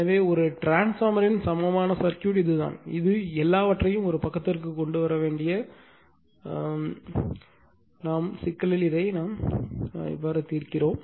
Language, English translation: Tamil, So, equivalent circuitof a transformer that is that is we have to this is this one we lot solve the problem we have to bring everything to one side that is say primary side